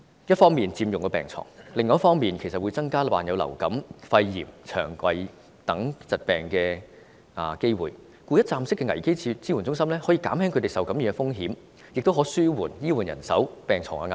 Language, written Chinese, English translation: Cantonese, 一方面佔用了病床，另一方面會增加受虐兒童患上流感、肺炎、腸胃等疾病的機會，故此一站式的危機支援中心可減輕他們受感染的風險，亦可紓緩醫護人手及病床的壓力。, On the one hand the victims occupy the hospital beds and the fact that their staying in the wards will make them more susceptible to influenza pneumonia gastrointestinal diseases on the other . Therefore a one - stop crisis support centre can minimize their risk of getting infected and it will also help to ease the pressure on the manpower of health care workers as well as hospital beds